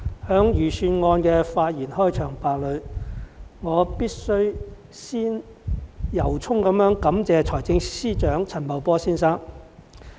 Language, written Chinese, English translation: Cantonese, 代理主席，我在財政預算案的開場發言中，必須先由衷感謝財政司司長陳茂波先生。, Deputy President I must begin my opening remark on the Budget by thanking Financial Secretary FS Paul CHAN from the bottom of my heart